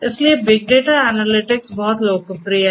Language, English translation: Hindi, So, big data analytics is very popular